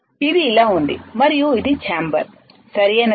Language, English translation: Telugu, It looks like this and this is the chamber, right